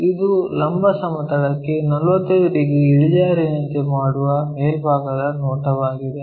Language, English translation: Kannada, So, this is the top view that has to make 45 degrees inclined to the vertical plane